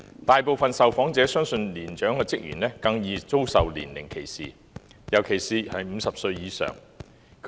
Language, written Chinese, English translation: Cantonese, 大部分受訪者相信年長職員更容易遭受年齡歧視，尤其是50歲以上的人。, Most of the employed persons believed that persons aged 50 or above were vulnerable to age discrimination